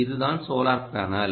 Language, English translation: Tamil, this is the solar panel